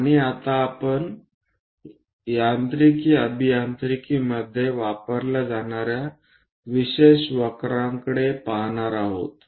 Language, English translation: Marathi, And now we are going to look at special curves used in mechanical engineering